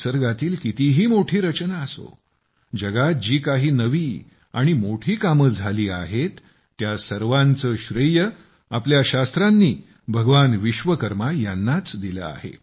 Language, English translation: Marathi, Whichever great creations are there, whatever new and big works have been done, our scriptures ascribe them to Bhagwan Vishwakarma